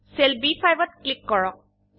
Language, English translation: Assamese, Click on the cell B5